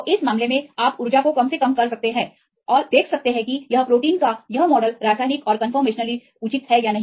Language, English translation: Hindi, So, in this case, you can do the energy minimization right and see whether this protein or this model is chemically and conformationally reasonable or not